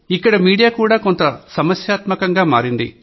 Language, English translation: Telugu, Media also created some problem there